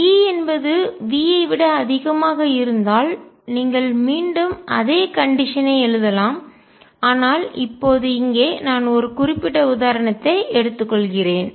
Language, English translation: Tamil, If E is greater than V you can again right the same condition, but right now am just taking one particular example